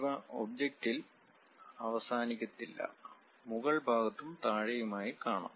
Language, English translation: Malayalam, These are not just stopping on the object, but extend all the way on top side and bottom side